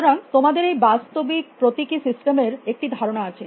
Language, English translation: Bengali, So, you have this idea of the physical symbol systems